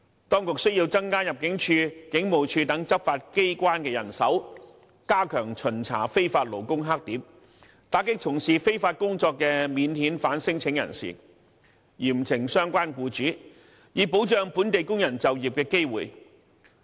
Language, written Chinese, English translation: Cantonese, 當局須增加入境處和警務處等執法機關的人手，加強巡查非法勞工黑點，打擊從事非法工作的免遣返聲請人，嚴懲相關傭主，以保障本地工人就業機會。, The authorities have to strengthen the manpower of law enforcement agencies like the Immigration Department and the Police enhance inspection of black spots of illegal workers and crack down on non - refoulement claimants engaging in illegal employment as well as severely punishing relevant employers so as to protect the employment opportunity of local workers